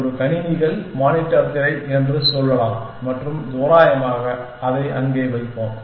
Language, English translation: Tamil, Let us say a computers, monitors screen and randomly place it there